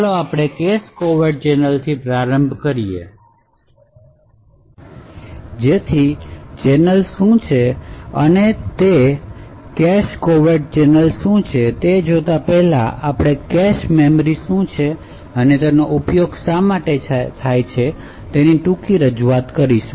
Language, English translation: Gujarati, So, let us start with a cache covert channel so before we go into what cache covert a channel is we will have a brief introduction to what a cache memory is and why it is used